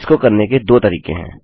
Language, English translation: Hindi, There are 2 ways to do this